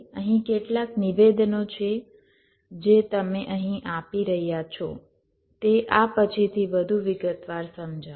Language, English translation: Gujarati, there are a few statements you are making here, of course, will be explaining this little later in more detail